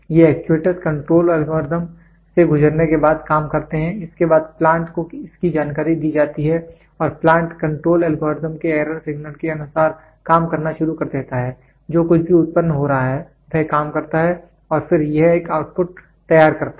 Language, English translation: Hindi, So, these actuators do the job after going through the control algorithm then this is given information to the plant and plant starts working as per the control algorithms error signal whatever it is getting generated, it works and then, it produces an output